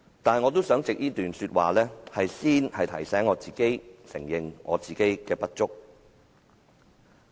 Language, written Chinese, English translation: Cantonese, 不過，我想藉這段說話，先提醒自己承認本身的不足。, However I wish to make use of these words to remind myself to admit my personal inadequacy